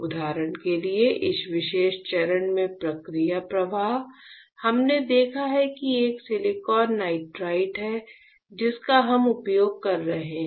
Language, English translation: Hindi, For example, in this particular step process flow; we have seen that there is a silicon nitride that we are using right